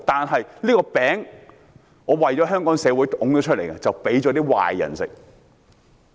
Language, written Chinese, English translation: Cantonese, 政府的這個"餅"，是為香港社會推出來的，卻被壞人吃掉。, This pie of the Government is meant for Hong Kong but it is now eaten by the bad guys